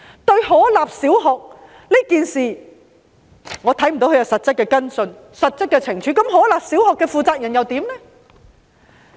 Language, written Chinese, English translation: Cantonese, 對於可立小學一事，我看不到他有實質的跟進和懲處，而可立小學的負責人又如何呢？, Regarding the incident of Ho Lap Primary School I have not seen him take specific follow up actions and impose punishment . How about the person - in - charge of Ho Lap Primary School?